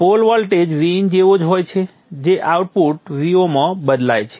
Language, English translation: Gujarati, The pole voltage is same as V in which is transferred to the output V 0